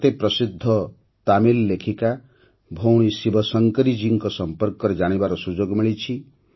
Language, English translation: Odia, I have got the opportunity to know about the famous Tamil writer Sister ShivaShankari Ji